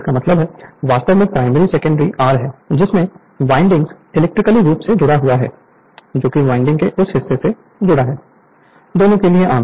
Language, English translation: Hindi, That means, actually primary secondary that is your what you call windings are electrically connected to that part of the wilding is common to both right